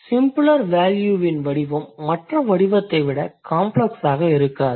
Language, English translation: Tamil, The form of the simpler value tends to be not more complex than that of the other form